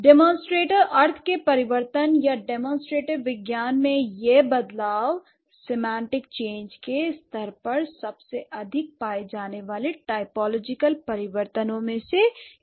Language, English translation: Hindi, The shift in the change of the demonstrative, the meaning or the science of demonstrative, it has been one of the most commonly found typological change at the semantic level